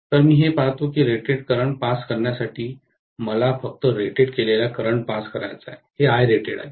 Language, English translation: Marathi, So, I would see that to pass rated current, now I want to pass only rated current, this is Irated